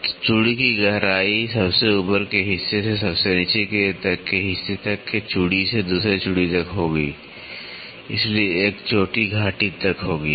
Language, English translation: Hindi, So, depth of the thread will be from the top most portion to the bottom most portion from one thread to the next so, one crest to the valley